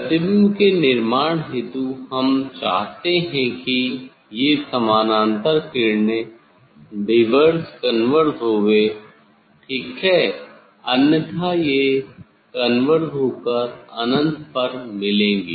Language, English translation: Hindi, to form the image, we have to this parallel rays has to diverge converge ok, otherwise it will converge to the meet at the infinity